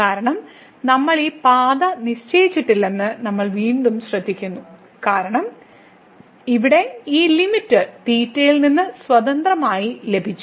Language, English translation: Malayalam, We have again note that we have not fixed the path because this limit here, we got independently of theta